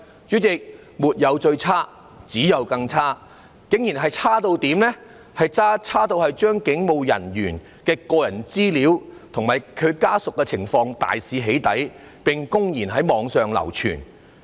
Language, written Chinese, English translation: Cantonese, 主席，沒有最差，只有更差，有人竟然可以差到對警務人員的個人資料及家屬情況大肆"起底"，並公然在網上流傳。, President when things become worse the worst is yet to come . Some people could go so far as to dox all the personal information of police officers and their family members on a large scale and circulate it openly on the Internet